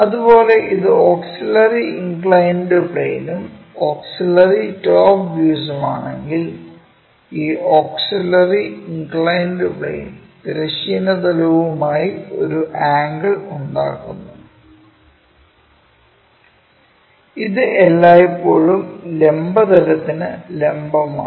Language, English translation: Malayalam, Similarly, if it is auxiliary inclined plane and auxiliary top views for that what we have is this is auxiliary inclined plane makes an angle with the horizontal plane